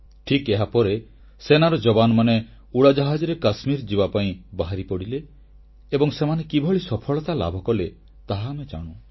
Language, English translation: Odia, And immediately after that, our troops flew to Kashmir… we've seen how our Army was successful